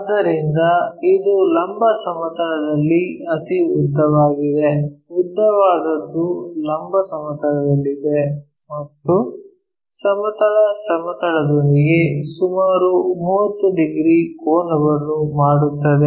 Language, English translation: Kannada, So, the vertical plane is this the longest one, longest one is on the vertical plane in and the longest one is making some 30 degrees angle with the horizontal plane